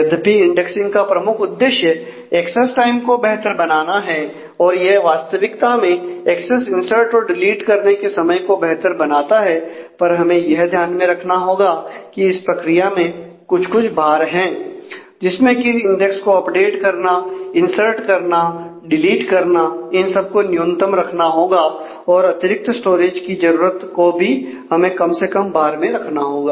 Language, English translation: Hindi, So, even though it is focused indexing is focused on improving the access time it actually improves the time for access insert delete all of that, but we will have to keep in mind that in the process there are certain overheads of index update for insert and delete that will have to be kept as a minimal and the additional storage requirement will also have to be kept as a least overhead